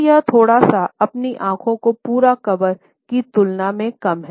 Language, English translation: Hindi, So, it is a little bit more diluted than the full out covering of your eyes